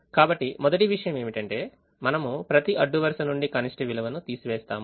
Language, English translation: Telugu, so first thing is we subtract the row minimum from every row